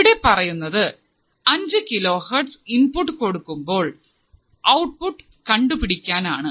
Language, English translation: Malayalam, So, it is saying that if I apply the input of 5 kilohertz, I had to find the output voltage